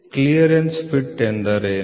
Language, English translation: Kannada, What is a clearance fit